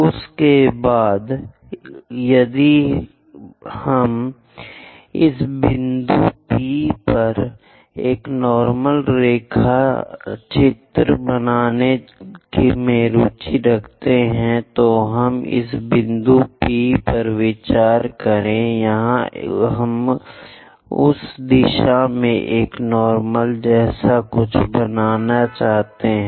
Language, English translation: Hindi, After that if we are interested in drawing a normal at a point P, let us consider this is the point P; here we would like to construct something like a normal in that direction